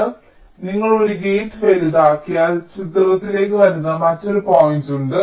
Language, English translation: Malayalam, so if you make a gate larger is another point which is also coming into the picture